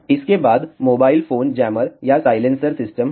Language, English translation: Hindi, Next is a mobile phone jammer or silencer system